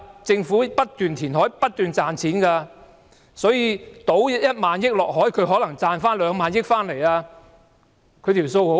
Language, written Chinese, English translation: Cantonese, 政府不斷填海，不斷賺錢，把1萬億元傾入大海中可能會賺回兩萬億元，很容易計算的。, The Government has been making profits from reclaiming land . It pours 1,000 billion into the sea and it will probably get 2,000 billion in return . The calculation is easy